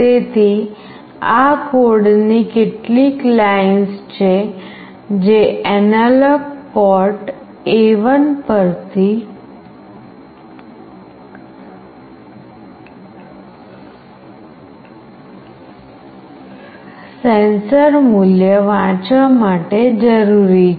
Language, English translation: Gujarati, So, these are the few lines of code that are required to read the sensor value from the analog port A1